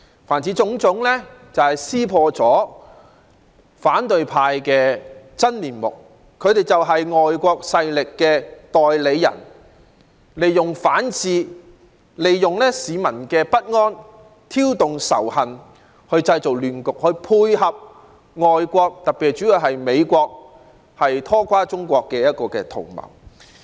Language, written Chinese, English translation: Cantonese, 凡此種種，皆揭破了反對派的真面目，他們就是外國勢力的代理人，利用反智和市民的不安挑動仇恨，製造亂局，從而配合外國拖垮中國的圖謀。, All such examples have served to unveil the true self of opposition Members . As an agent of foreign forces they attempted to provoke animosity and stir up chaos by repugnant means and manipulating peoples feeling of insecurity . In so doing they sought to dovetail with the scheme of foreign countries for bringing down China